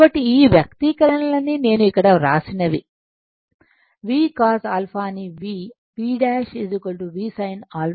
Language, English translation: Telugu, So, all these expression whatever I have written here V Cos alpha you put v small V and js your sin alpha